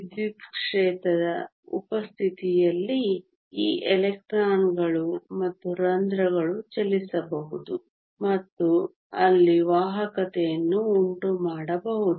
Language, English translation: Kannada, In the presence of an electric field these electrons and holes can move and there cause conduction